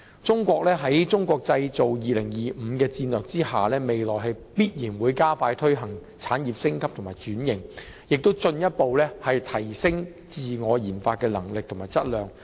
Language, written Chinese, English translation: Cantonese, 中國在"中國製造 2025" 的戰略下，未來必然會加快推行產業升級和轉型，亦會進一步提升自我研發的能力和質量。, Under the strategy of Made in China 2025 China will definitely expedite the upgrading and restructuring of industries and further enhance its research and development RD capabilities and quality in future